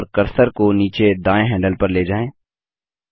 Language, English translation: Hindi, Select the tree and move the cursor over the bottom right handle